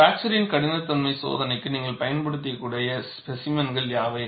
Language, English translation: Tamil, And what are the specimens that you could use for fracture toughness test